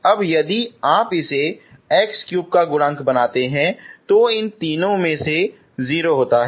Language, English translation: Hindi, Now if you make it coefficient of x cube is 0 from these three